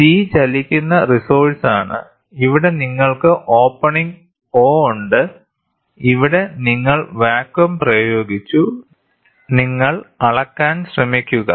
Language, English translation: Malayalam, C is the moving resource and here is the opening you have opening O, you have vacuum is applied here, you try to measure